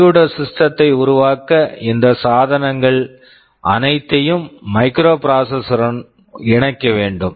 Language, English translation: Tamil, To make a computer system we have to interface all these devices with the microprocessor